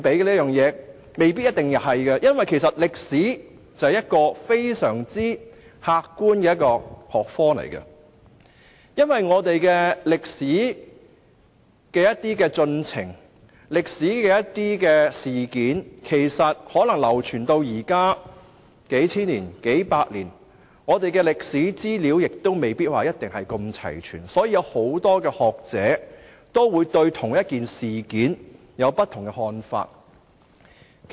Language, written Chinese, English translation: Cantonese, 答案未必是一定的，因為歷史是非常客觀的學科，而歷史進程和歷史事件經過數百年、數千年流傳至今，資料未必齊全，所以很多學者對同一事件亦會有不同的看法。, The answer is not definite . As history is a very objective subject and given that history has progressed and historical events have been passed down for hundreds or even thousands of years the information may not be complete and hence scholars may have different views on the same historical event